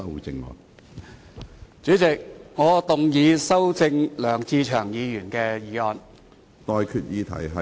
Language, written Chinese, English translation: Cantonese, 主席，我動議修正梁志祥議員的議案。, President I move that Mr LEUNG Che - cheungs motion be amended